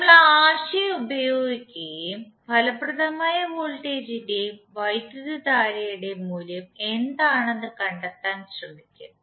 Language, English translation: Malayalam, So we will use that concept and we try to find out what is the value of effective voltage and current